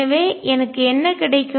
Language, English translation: Tamil, So, what do I get